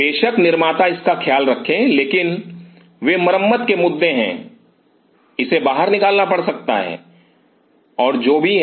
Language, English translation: Hindi, Of course, the manufactural take care of it, but they are repairing issue it may have to be taken out and what isoever there are